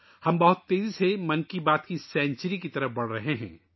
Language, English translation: Urdu, We are fast moving towards the century of 'Mann Ki Baat'